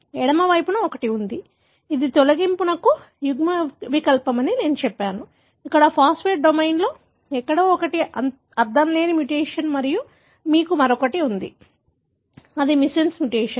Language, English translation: Telugu, There is one on the extreme left, which I said is a deletion allele, the one here somewhere in the phosphatase domain is the nonsense mutation and you have another, which is missense mutation